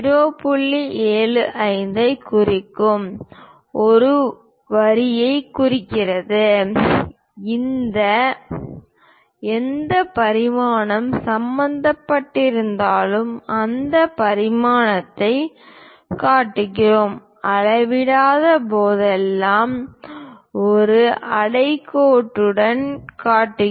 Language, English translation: Tamil, 75 whatever the dimension is involved in that, we show that that dimension and whenever not to scale we just leave a underlined